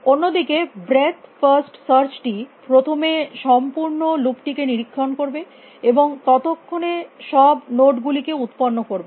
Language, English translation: Bengali, Whereas breadth first search will first inspect the entire loop generate till then of all those nodes